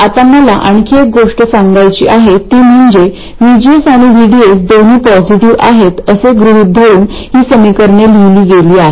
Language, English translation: Marathi, Now one more thing I want to emphasize here is that these equations are written assuming that both VGS and VDS are positive